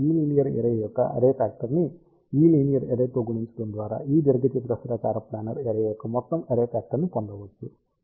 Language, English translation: Telugu, So, total array factor for this rectangular planar array can be obtained by multiplying the array factor of this linear array with this linear array